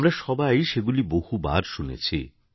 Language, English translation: Bengali, We must have heard it hundreds of times